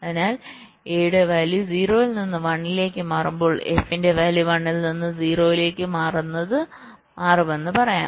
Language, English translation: Malayalam, so lets say, when the value of a switches from zero to one, lets say, the value of f will be switching from one to zero